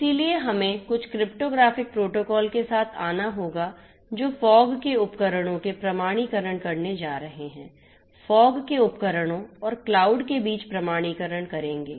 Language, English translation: Hindi, So, plus you know we have to come up with some cryptographic protocols that are going to do authentication, authorization and communication of authentication of the fog devices and authentication between the fog devices and the cloud